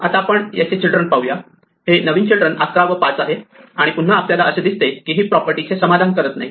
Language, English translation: Marathi, Now, we look at its children, new children here 11 and 5 and again we see it is not satisfying the property